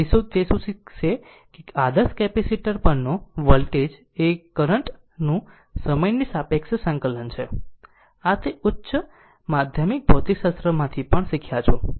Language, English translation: Gujarati, So, what that we will learn that the voltage across the ideal capacitor is proportional to the time integral of the current, this you have learn also from your high secondary physics